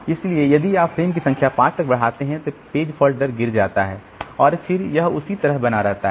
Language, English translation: Hindi, So, if you increase the number of frames to 5 then the page fault rate drops and then it remains like that